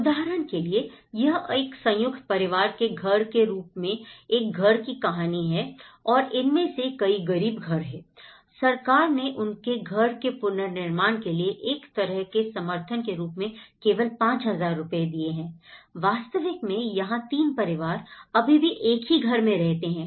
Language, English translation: Hindi, For instance, this is a story of a house as a joint family house and many of these poor houses, the government has given only 5000 rupees as a kind of support to rebuild their house, the roof and the reality is 3 families still live in the same house